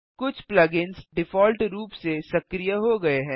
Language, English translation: Hindi, Some plug ins are activated by default